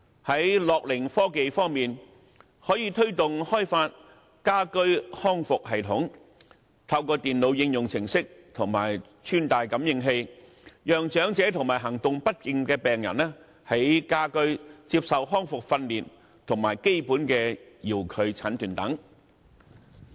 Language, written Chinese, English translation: Cantonese, 在樂齡科技方面，可以推動開發家居康復系統，透過電腦應用程式及穿戴感應器，讓長者及行動不便的病人在家居接受康復訓練和基本遙距診斷等。, As for gerontechnology it may promote the development of a home - based rehabilitation system so that the elderly and patients with limited mobility may receive rehabilitation training service and basic telediagnosis etc . at home through computer applications and wearable sensors